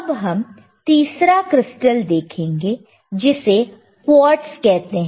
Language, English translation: Hindi, Let us see the third one, quartz we have seen right many times,